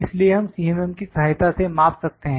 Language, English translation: Hindi, So, we can measure with help of the CMM